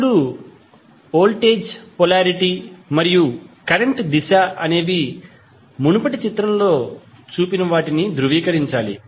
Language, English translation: Telugu, Now, the voltage polarity and current direction should confirm to those shown in the previous figure